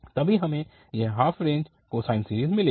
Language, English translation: Hindi, Then only we will get this half range cosine series